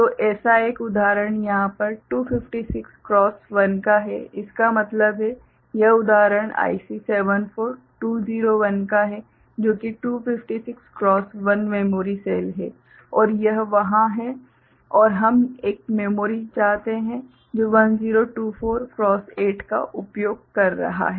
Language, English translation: Hindi, So, one such example over here say 256 cross 1 so that means, that example of 74201 which is 256 cross 1 memory cell and that is there and we want a memory which is 1024 cross 8 using it